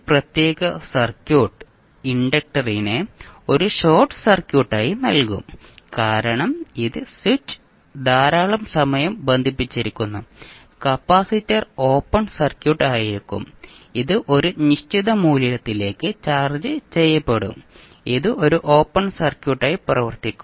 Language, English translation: Malayalam, That this particular circuit will give inductor as a short circuit because it is switch is connected for very long period and the capacitor will be open circuit because it will be charge to certain value and it will act as an open circuit